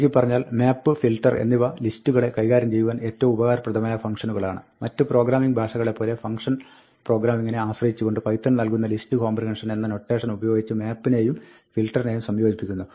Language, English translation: Malayalam, To summarize, map and filter are very useful functions to manipulating lists, and python provides, like many other programming languages, based on the function programming, the notation called list comprehension, to combine map and filter